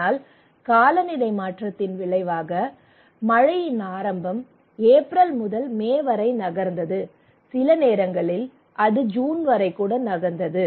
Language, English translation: Tamil, But as a result of climate change the rain now the onset of rainfall now moved from rain now move from April to May, sometimes it moves to June even